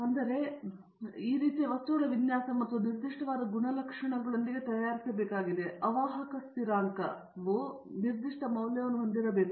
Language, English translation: Kannada, Therefore, this type of materials have to be designed and fabricated with a very specific properties, dielectric constant has to be specific value